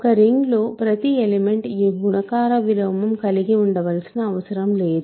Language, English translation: Telugu, Remember in a ring not every element is required to have a multiplicative inverse